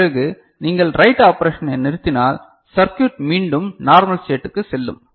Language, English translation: Tamil, After, if you stop the write operation and you know the circuit is goes back to it is normal state ok